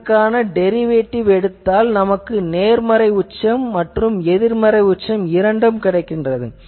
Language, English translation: Tamil, So, if you take that derivative, you will always get this positive peak and negative peak